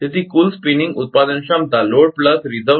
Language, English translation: Gujarati, So, the total spinning generation capacity is equal to load plus reserve